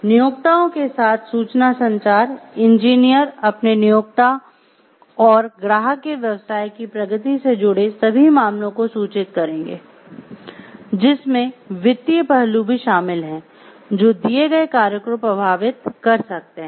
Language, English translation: Hindi, Information communication with employers; engineers shall keep their employer and client fully informed on all matters relating to progress of business including financial aspects which may affect the assigned work